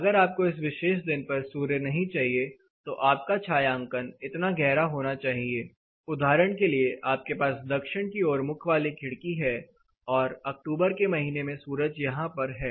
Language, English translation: Hindi, If you do not want the sun on this particular day then your shading device will be this deep, for example, you have a window this is a south oriented window sun is here during October, you have sun coming here